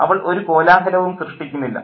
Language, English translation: Malayalam, She doesn't create any fuss